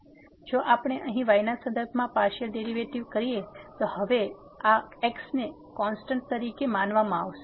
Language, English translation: Gujarati, So, if we take the partial derivative with respect to here, then this is now will be treated as constants